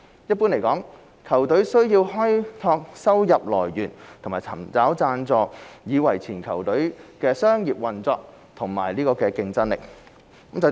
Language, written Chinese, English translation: Cantonese, 一般而言，球隊需要開拓收入來源和尋找贊助以維持球隊的商業運作和競爭力。, In general football clubs need to develop their income sources and seek sponsorship to maintain their commercial operation and competitiveness